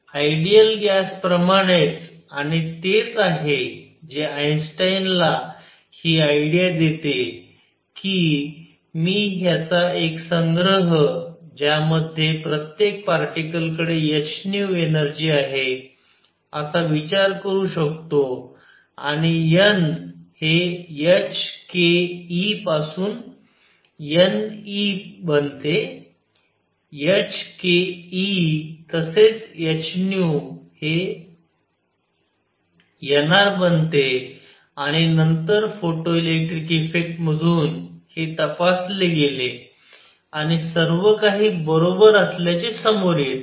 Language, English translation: Marathi, Just like ideal gas and that is what gives Einstein the idea that I can think of this as a collection of particles with each having energy h nu and n becomes n E by h k E by h nu becomes n R and then through photoelectric effect, it is checked and everything comes out to be correct, I am not going to do photoelectric effect here because you studied it many many times in your 12th grade and so on